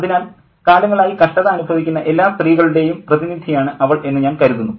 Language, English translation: Malayalam, So, I think she is a representative of all those ladies who had suffered for long